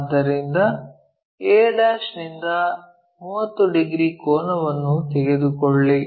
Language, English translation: Kannada, So, take 30 degree angle from a'